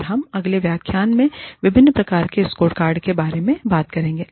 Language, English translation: Hindi, And, we will deal with, the various types of the scorecards, in the next lecture